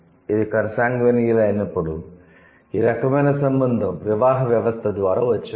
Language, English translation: Telugu, When it is consanguinal, then it's this kind of relation it has come through the marriage system